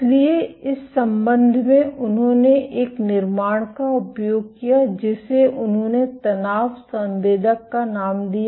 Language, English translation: Hindi, So, in this regard they made use of a construct which they named as the tension sensor